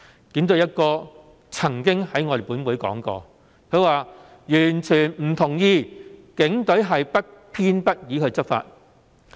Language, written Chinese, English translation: Cantonese, 警隊"一哥"曾經在本會上說過，他完全不同意警隊是不偏不倚地執法。, The Commissioner of Police once said in this Council that he totally disagreed that the Police was enforcing the law in an impartial manner